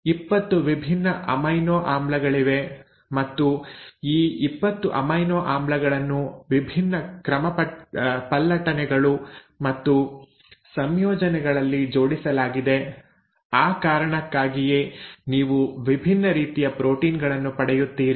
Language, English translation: Kannada, There are 20 different amino acids and these 20 amino acids arranged in different permutations and combinations because of which you get different proteins